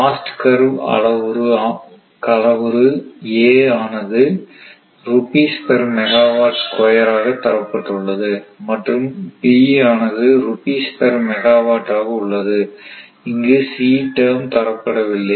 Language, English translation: Tamil, And cost curve parameters a is given rupees per megawatt ah megawatt square and b is rupees per megawatt c term is not here, right